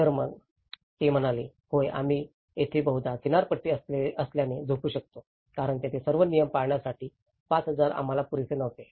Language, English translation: Marathi, So, then they said, yeah we mostly sleep here being a coastal area we can sleep there because that 5000 was not sufficient for us to keep all the rules